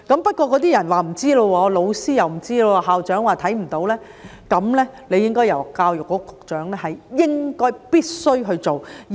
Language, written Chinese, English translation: Cantonese, 不過，那些人說不知道，老師又說不知道，校長說看不到，而教育局局長是應該、必須去處理的。, Nevertheless some people and teachers may say that they are not aware of this and some principals may say that they do not see the stipulations . The Secretary for Education should and must deal with them